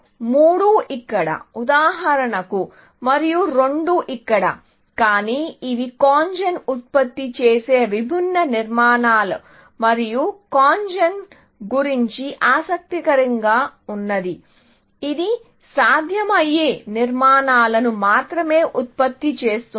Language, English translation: Telugu, So, 3 here, for example, and 2 here, in that, but these are different structures that CONGEN generates and what was interesting about CONGEN was, it generated only feasible structures